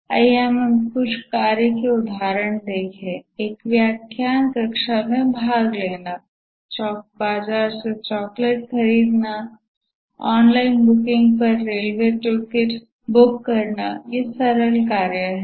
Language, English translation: Hindi, Attending a lecture class, buying a chocolate from the market, book a railway ticket on an online booking